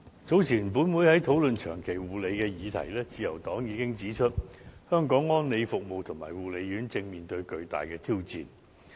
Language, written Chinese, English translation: Cantonese, 早前本會在討論"長期護理"的議題時，自由黨已經指出，香港安老服務及護理院舍正面對巨大的挑戰。, Earlier when discussing long - term care issue in this Council the Liberal Party pointed out that elderly services as well as care and attention homes in Hong Kong are now facing tremendous challenges